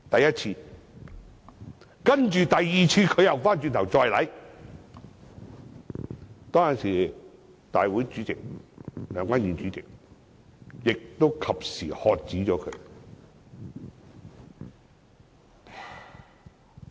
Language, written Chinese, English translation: Cantonese, 然後，第二次，他又轉頭再做，當時梁君彥主席亦及時喝止他。, And then he came back and did it again for the second time . It was at that time that President Andrew LEUNG was able to stop him on time